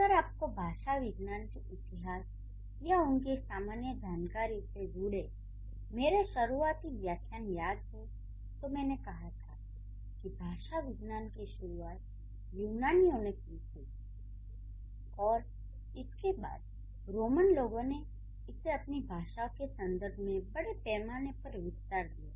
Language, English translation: Hindi, And generally this has been, if you remember in my initial lectures about history of linguistics or general information of linguistics, I said it started from the Greeks and then the Latin also or it was or the Roman people they also studied extensively their own language